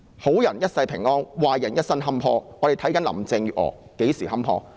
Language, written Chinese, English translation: Cantonese, 好人一生平安，壞人一生坎坷，我們且看看林鄭月娥何時坎坷。, May good people live a blessed life and evil doers a cursed life . Let us see when Carrie LAM will be condemned to it